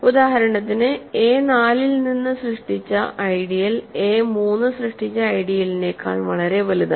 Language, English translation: Malayalam, So, for example, the ideal generated by a four is strictly bigger than ideal generated by a 3